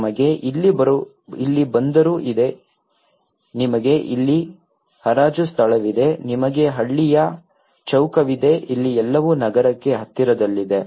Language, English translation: Kannada, We have the harbour here, you have the auction place here, you have the village square here everything is near to the city